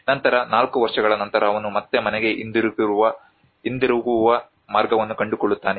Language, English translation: Kannada, Then after 4 years he will again find his way back to home